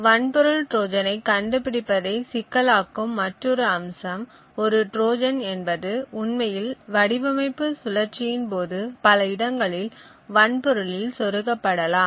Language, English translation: Tamil, Another aspect which complicates the detection of a hardware Trojan is the fact that a Trojan can be inserted in the hardware at multiple places during the design cycle